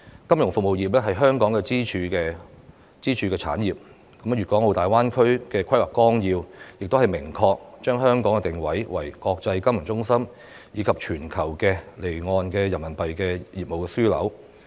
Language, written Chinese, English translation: Cantonese, 金融服務業是香港的支柱產業，《粵港澳大灣區發展規劃綱要》亦明確地把香港定位為國際金融中心及全球離岸人民幣業務樞紐。, The financial services industry is a pillar industry of Hong Kong . Hong Kong is also expressly positioned as an international financial centre and a global offshore Renminbi business hub in the Outline Development Plan for the Guangdong - Hong Kong - Macao Greater Bay Area